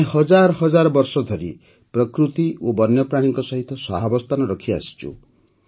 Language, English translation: Odia, We have been living with a spirit of coexistence with nature and wildlife for thousands of years